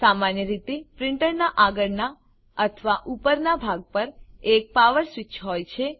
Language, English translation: Gujarati, Usually there is a power switch on the front or top part of the printer